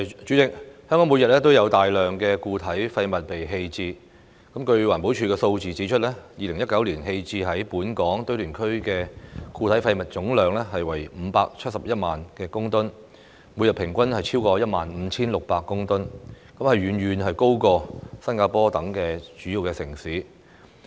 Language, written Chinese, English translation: Cantonese, 主席，香港每日都有大量固體廢物被棄置，據環保署數字指出 ，2019 年棄置於本港堆填區的固體廢物總量為571萬公噸，每日平均超過 15,600 公噸，遠高於新加坡等主要城市。, President a large amount of solid waste is disposed of in Hong Kong every day . According to the statistics of the Environmental Protection Department a total of 5.71 million tonnes of solid waste were disposed of at landfills in Hong Kong in 2019 representing a daily average of over 15 600 tonnes . This figure is far higher than that of other major cities like Singapore